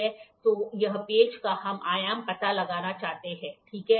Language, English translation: Hindi, So, this screw we wanted to find out the dimension of a screw, ok